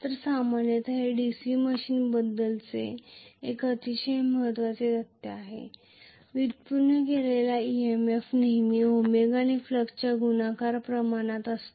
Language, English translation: Marathi, so, generally this is a very very important fact about DC machine, EMF generated is always proportional to flux multiplied by omega,right